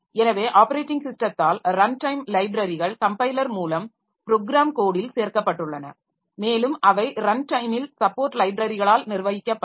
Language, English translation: Tamil, So the runtime libraries are included by in the operating system in the program code by means of the compiler and that will be managed at runtime by the support library